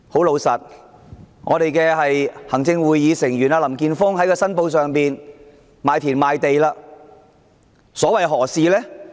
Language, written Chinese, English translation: Cantonese, 老實說，行政會議成員林健鋒議員申報自己已賣田賣地，所為何事？, Honestly why has Mr Jeffrey LAM an Executive Council Member sold his land and property holdings as stated in his declaration?